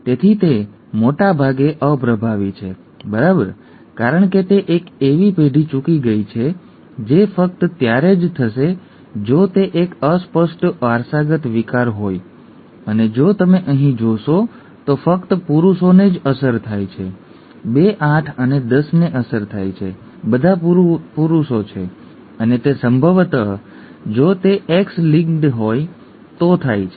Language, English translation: Gujarati, Therefore it is most likely recessive, right, since it has missed a generation that will happen only if it is a recessively inherited disorder and if you see here only males are affected, 2, 8 and 10 are affected, all are males and that will happen most likely if it is X linked, okay